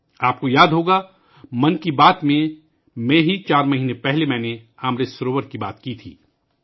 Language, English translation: Urdu, You will remember, in 'Mann Ki Baat', I had talked about Amrit Sarovar four months ago